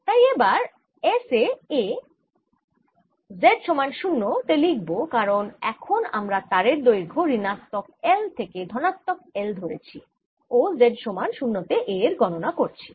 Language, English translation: Bengali, therefore, i am going to write a at s z equal to zero, because now i am taking a long wire extending from minus l to l and i am calculating a at z equal to zero